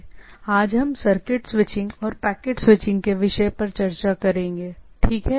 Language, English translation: Hindi, So, today we’ll be discussing on the topic of Circuit Switching and Packet Switching, right